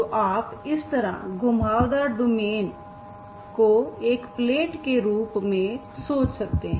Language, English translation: Hindi, So you can think of a curved domain like this as a plate